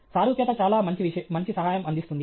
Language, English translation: Telugu, Analogy is a very good aid